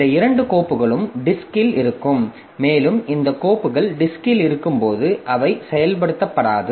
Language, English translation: Tamil, And when these files are existing in the disk, so they are not going to be executed